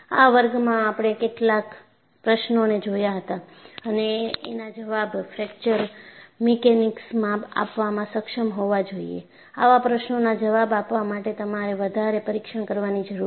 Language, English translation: Gujarati, So, in this class, what we had looked at was, we have raised certain questions that fracture mechanics should be able to answer; in order to answer such questions, you need to conduct more tests